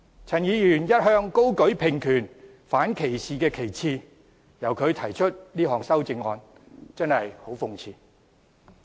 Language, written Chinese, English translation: Cantonese, 陳議員一向高舉平權、反歧視的旗幟，由他提出這項修正案真的很諷刺。, It is really ironic to see Mr CHAN who has long been hoisting high the banner of equal rights and anti - discrimination propose this amendment